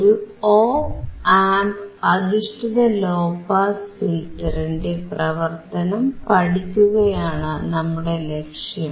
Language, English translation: Malayalam, So, the aim is to study the working of an Op Amp based low pass filter